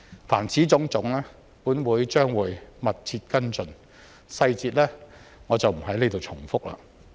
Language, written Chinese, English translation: Cantonese, 凡此種種，本會將會密切跟進，我不在此重複細節。, This Council will closely follow up the aforementioned tasks and I will not repeat the details here